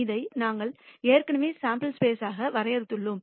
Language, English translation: Tamil, We have already defined this as the sample space